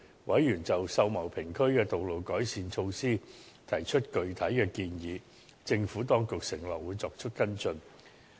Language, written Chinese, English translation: Cantonese, 委員就秀茂坪區的道路改善措施提出具體建議，政府當局承諾會作出跟進。, Members made specific suggestions on measures to improve the roads in Sau Mau Ping area and the Administration undertook that it would follow up the matter